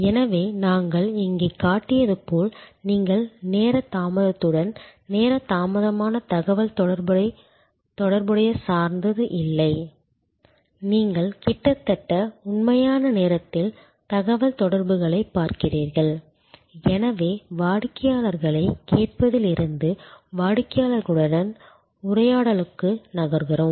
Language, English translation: Tamil, So, it is not exactly as we showed here that you are not dependent on time lag communication with time lag, you are looking at communication almost in real time and therefore, from listening to customers we are moving to dialogue with the customers